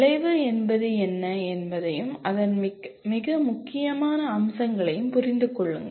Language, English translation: Tamil, Understand what an outcome is and its most important features